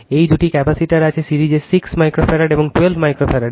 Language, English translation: Bengali, These two capacitors are there in series 6 microfarad, and 12 microfarads right